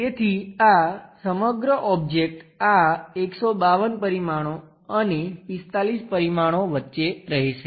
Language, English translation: Gujarati, So, this entire object will be in between this 152 dimensions and 45 dimensions